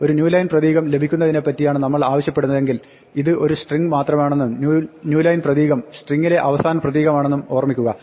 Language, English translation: Malayalam, If we want to get with a new line character, remember this is only a string and the new line character is going to be a last character in this string